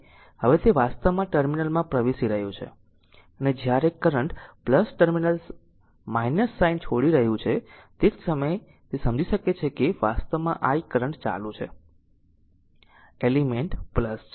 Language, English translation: Gujarati, Now it is actually entering the terminal and when the current is leaving the plus terminal you take minus sign, at the same time you can understand that actually the i the current is going into the element from plus